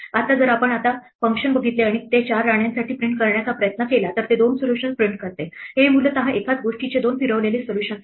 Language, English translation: Marathi, Now if we look at the function now and we try to print it say for 4 queens, then it prints two solutions, these are essentially two rotated solutions of the same thing